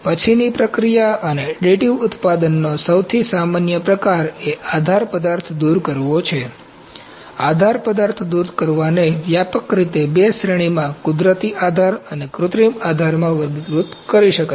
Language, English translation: Gujarati, The most common type of post processing and editing manufacturing is support material removal, support material removal can be broadly classified into two categories natural support and synthetic supports